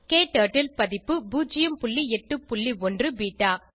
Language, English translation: Tamil, KTurtle version 0.8.1 beta